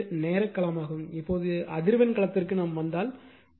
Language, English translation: Tamil, So, this is time domain, now if you come to your frequency domain